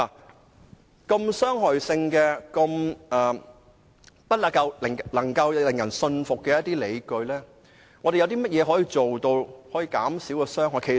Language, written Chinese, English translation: Cantonese, 如此具傷害性的安排及不能令人信服的理據，我們可以做甚麼來減少傷害呢？, What can we do to alleviate the effect resulted from the harmful arrangement and the unconvincing justification?